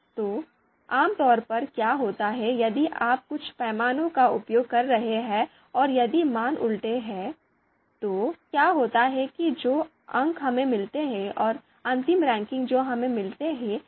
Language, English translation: Hindi, So what typically happens is if if you are using you know certain scale you know if the values and if the values are you know reverse, then the what happens is that the scores that we get and the final ranking that we you know we get that might get changed